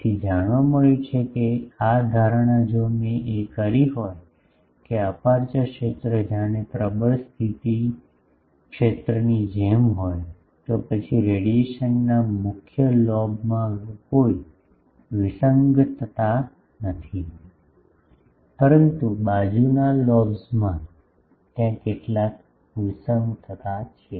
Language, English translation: Gujarati, So, it has been found that this assumption if I made, that the aperture field is as if the same as the dominant mode field, then in the main lobe of the radiation there is no discrepancy, but in the side lobes, there are some discrepancy ok